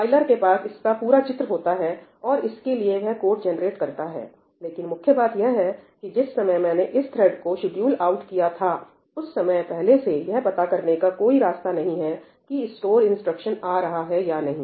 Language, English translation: Hindi, The compiler has the complete picture and it has generated the code for that, but the point is at this point of time when I have scheduled this thread out, I have no way of knowing up ahead whether a store instruction is coming or not